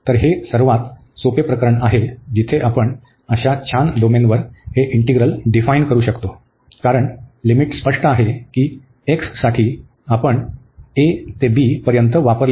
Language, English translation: Marathi, So, this is the simplest case, where we can define this integral over the such a nice domain, because the limits are clear that for x, we are wearing from a to b